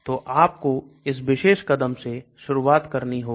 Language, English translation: Hindi, So you need to start from that particular step